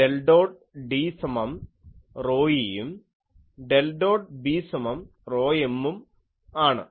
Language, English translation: Malayalam, Del dot D is equal to rho e and del dot B is equal to rho m